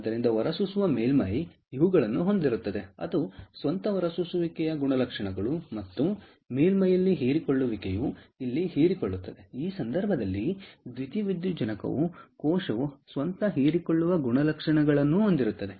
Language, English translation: Kannada, so an emitter surface will have these its own emission characteristics and the absorption at the surface which is absorbing here, in this case, the photovoltaic cell will have its own absorption characteristics